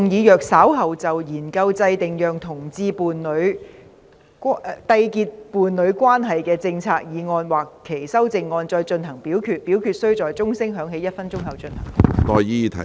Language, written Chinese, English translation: Cantonese, 主席，我動議若稍後就"研究制訂讓同志締結伴侶關係的政策"所提出的議案或修正案再進行點名表決，表決須在鐘聲響起1分鐘後進行。, President I move that in the event of further divisions being claimed in respect of the motion on Studying the formulation of policies for homosexual couples to enter into a union or any amendments thereto this Council do proceed to each of such divisions immediately after the division bell has been rung for one minute